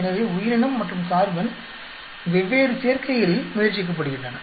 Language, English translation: Tamil, So the organism verses carbon is being tried out in different combinations